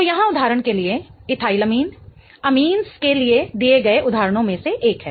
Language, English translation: Hindi, So, here for example, ethylamine is one of the examples given for amines